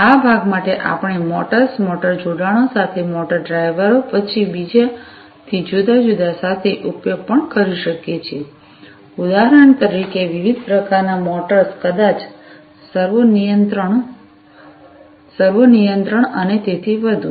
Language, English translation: Gujarati, For this part, we could even use motors connection with motors, motor drivers then different other for example, different types of motors maybe you know servo control servo control and so on